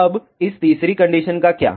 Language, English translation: Hindi, Now, what about this third condition